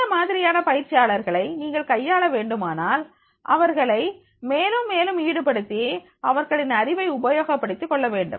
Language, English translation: Tamil, So if you want to handle this type of the disruptive trainees then keep them more and more engaged and take the benefit of their knowledge also